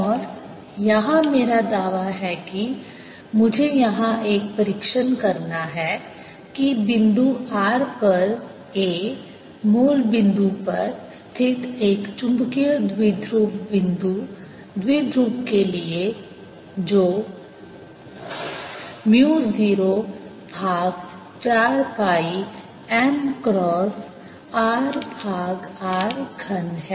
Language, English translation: Hindi, ok, and my claim here is let me give a trial here that a at point r for a magnetic dipole, point dipole sitting at the origin, is equal to mu naught over four pi m cross r over r cubed